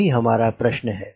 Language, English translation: Hindi, that is the question